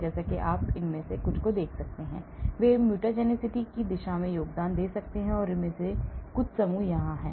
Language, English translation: Hindi, they may be contributing towards mutagenicity as you can see some of these; some of these groups here